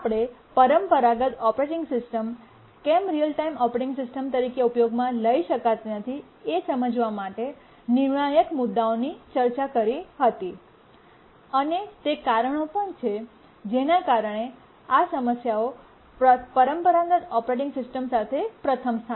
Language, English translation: Gujarati, We will just look at these two issues because these are crucial issues to understand why a traditional operating system cannot be used as a real time operating system and also why these problems are there with a traditional operating system in the first place